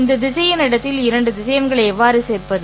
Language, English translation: Tamil, How do I add two vectors in this vector space